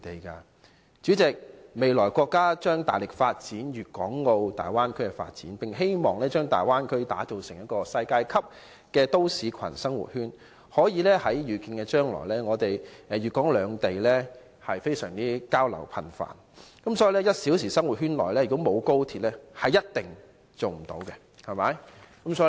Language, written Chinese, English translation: Cantonese, 代理主席，國家未來將大力發展粵港澳大灣區，並希望把大灣區打造成世界級都市群或生活圈，粵港兩地的交流在可見的將來將會十分頻繁，因此在 "1 小時生活圈"內如果沒有高鐵，是一定無法成功的。, Deputy President in the future the State will vigorously develop the Bay Area in the hope of making it a world - class city hub or living circle . There will be frequent exchanges between Guangdong and Hong Kong in the foreseeable future . For this reason without XRL the one - hour living circle will definitely not succeed